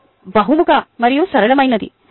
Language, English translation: Telugu, it is a versatile and flexible